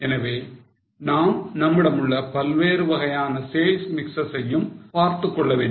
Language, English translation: Tamil, So, we will have to look at various sale mixes which are available